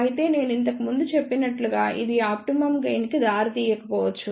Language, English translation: Telugu, However, as I mentioned earlier this may not give rise to the optimum gain